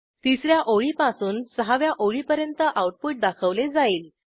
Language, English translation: Marathi, The output is displayed from the third line to the sixth line